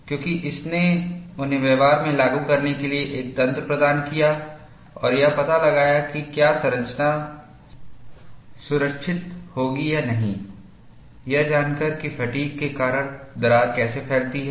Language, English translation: Hindi, Because, that provided a mechanism for them to implement in practice and find out, whether the structure would be safe or not, by knowing how the crack propagates, due to fatigue